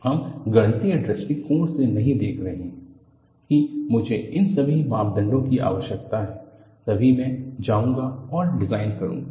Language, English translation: Hindi, We are not looking from a mathematical point of view that I need all these parameters, only then I will go and design